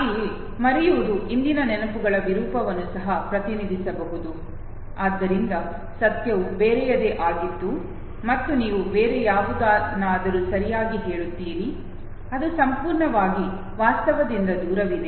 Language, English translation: Kannada, Also forgetting might also represent the distortion of recollection of the past, so the truth was something else and you narrate something else okay, which is completely devoid of the reality